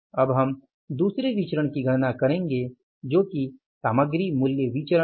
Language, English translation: Hindi, Now I will go for calculating the second variance that is the material price variance